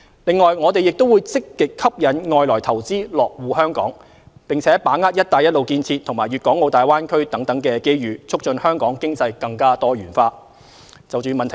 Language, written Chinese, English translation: Cantonese, 此外，我們會積極吸引外來投資落戶香港，並把握"一帶一路"建設和粵港澳大灣區等機遇，促進香港經濟更多元化。, In addition we will actively attract foreign investors to Hong Kong and grasp the opportunities brought by the Belt and Road Initiative and the Guangdong - Hong Kong - Macao Greater Bay Area in order to diversify Hong Kongs economy